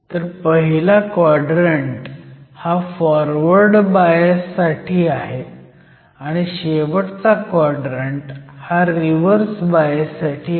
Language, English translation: Marathi, So, the first quadrant is your Forward bias and last quadrant is your Reverse bias